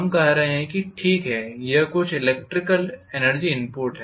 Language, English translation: Hindi, We are saying ok that is some electrical energy input